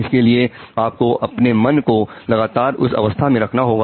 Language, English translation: Hindi, You have to constantly keep your mind into that state